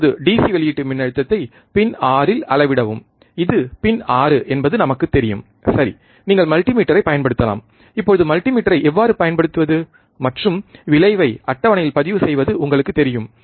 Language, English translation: Tamil, Now, measure the DC output voltage at pin 6 this is pin 6 we know, right using multimeter you can use multimeter, you know, how to use multimeter now and record the result in table